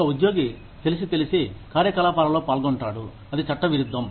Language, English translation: Telugu, An employee, who knowingly participates in activities, that are unlawful